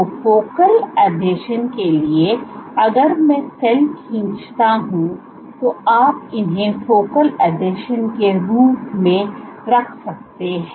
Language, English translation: Hindi, So, focal adhesions, if I draw cell you can have these as focal adhesions